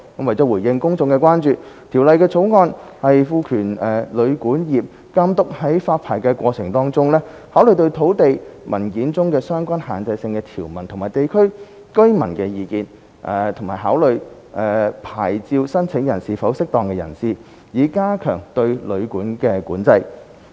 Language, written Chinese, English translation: Cantonese, 為了回應公眾關注，《條例草案》賦權監督在發牌過程中，考慮土地文件中的相關限制性條文及地區居民的意見，以及考慮牌照申請人是否"適當"人士，以加強對旅館的管制。, In response to public concerns the Bill empowers the Authority to take into account relevant restrictive provisions in land documents and local residents views in the licensing process and to consider whether an applicant of the licence is a fit and proper person with a view to stepping up regulation of hotels and guesthouses